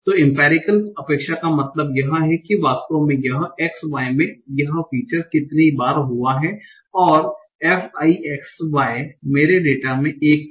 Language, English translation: Hindi, So empirical expectation is how many times this features actually this xy actually occurred and fi xy watch one in my data